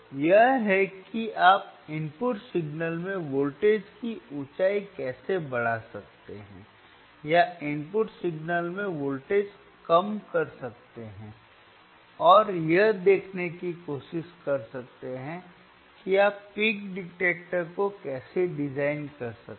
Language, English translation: Hindi, So, this is how you can you can increase the voltage height and in the input signal or decrease voltage in the input signal and try to see how you can how you can design the peak detector